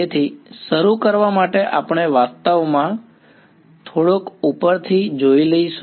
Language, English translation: Gujarati, So, to start with we will actually take a slight bit of a detour